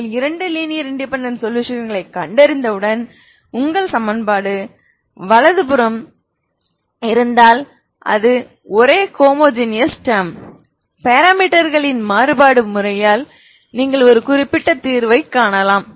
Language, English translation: Tamil, Once you find two linearly independent solutions ok you know if it is if your equation is having right hand side it is a non homogeneous term you can find a particular solution by the method of variation of parameters, ok